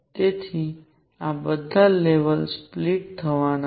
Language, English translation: Gujarati, So, all these levels are going to split